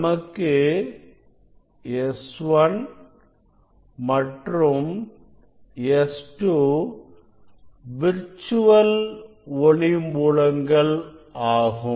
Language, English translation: Tamil, this S 1 and S 2 will be virtual source power source S